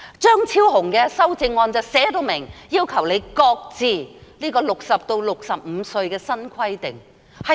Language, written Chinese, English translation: Cantonese, 張超雄議員的修正案便述明，要求她擱置由60歲提高至65歲的新規定。, It is clearly requested in Dr Fernando CHEUNGs amendment that she should shelve the new requirement of raising the eligibility age from 60 to 65 years